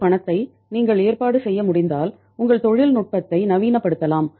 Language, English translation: Tamil, If you can arrange this money you can modernize your technology